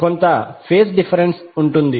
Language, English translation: Telugu, There would be some phase difference